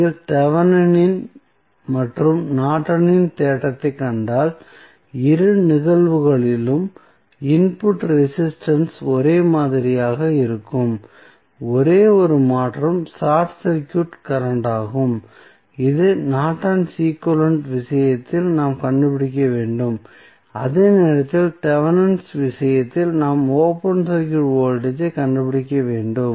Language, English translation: Tamil, So, if you see Thevenin's and Norton's theorem, the input resistance is same in both of the cases the only change is the short circuit current which we need to find out in case of Norton's equivalent while in case of Thevenin's we need to find out the open circuit voltage